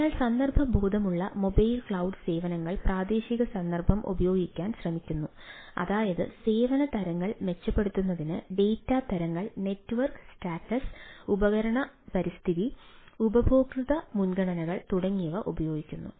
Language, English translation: Malayalam, so context aware mobile cloud services try to utilize the local context, that is, the data types, network status, device environment, user preferences, to improve the quality of services